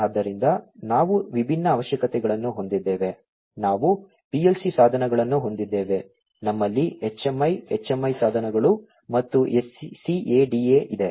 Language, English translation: Kannada, So, we have different requirements, we have the PLC devices, we have HMI, the HMI devices and SCADA